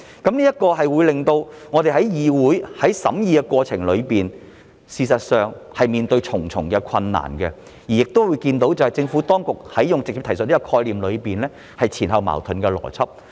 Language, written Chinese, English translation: Cantonese, 這做法會令到議會在審議過程中面對重重困難，亦會看到政府當局在直接提述的概念上運用了前後矛盾的邏輯。, This approach will mire the legislature in numerous difficulties during the scrutiny while revealing the Administrations application of contradictory logic to the concept of direct reference